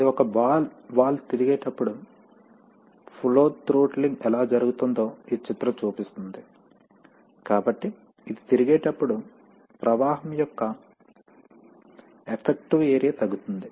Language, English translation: Telugu, This is, this picture shows how, when a, when a ball valve rotates then how the flow throttling takes place, so you see that as it is as it is rotating, as it is rotating, so this, the effective area of flow gets reduced